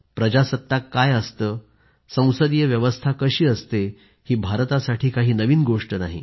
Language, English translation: Marathi, What is a republic and what is a parliamentary system are nothing new to India